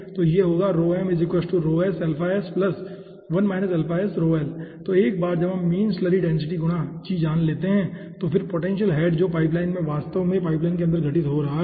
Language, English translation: Hindi, so once we know the mean slurry density multiplied by g and then the potential head, what the pipeline is actually occurring inside the pipeline it is occurring